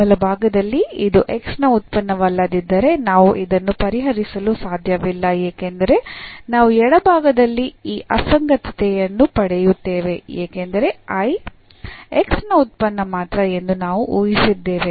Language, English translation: Kannada, The right hand side, if this is not a function of x then we cannot solve because we will get this inconsistency here the left hand side because we have assumed that I is a function of x alone